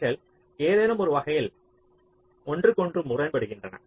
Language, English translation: Tamil, they are mutually conflicting in some sense